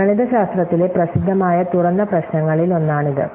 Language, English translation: Malayalam, So, this is one of the celebrated open problems and mathematics